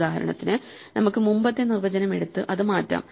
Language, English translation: Malayalam, For instance, we could take the earlier definition and change it